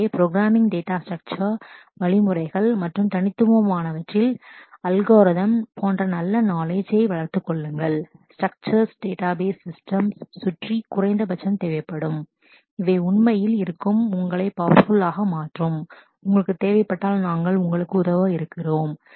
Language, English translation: Tamil, So, develop good knowledge in programming data structure, algorithms and discrete structures; these are the minimum required around the database systems which will really make you powerful and if you need we are there to help you